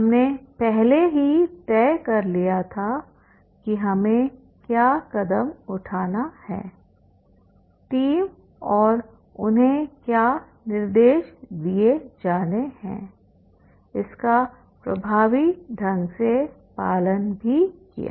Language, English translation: Hindi, So, also we decided, we had already decided what steps, what are the instruction to be given to the team and they also followed it effectively